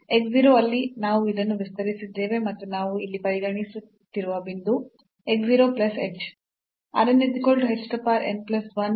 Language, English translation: Kannada, So, x 0 where we have expanded this around and the point which we are considering here x 0 plus h